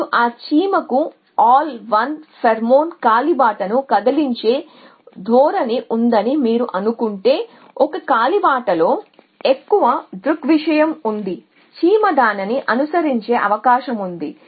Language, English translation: Telugu, Now, if you assume that that ant has a tendency to move al1 pheromone trail in the more pheromone there is in a kale the more the antive likely to following